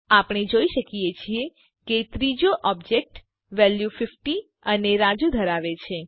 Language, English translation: Gujarati, We can see that the third object contains the values 50 and Raju